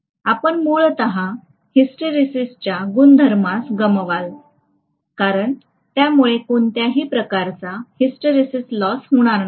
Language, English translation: Marathi, Then you would essentially lose out on the hysteresis property because of which, there will be not any hysteresis loss, not much to speak of, right